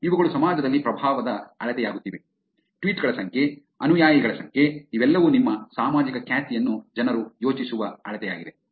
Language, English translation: Kannada, These are becoming a measure of influence in the society, number of tweets, number of followers, number of followings, all of them become a measure by which people think of your social reputation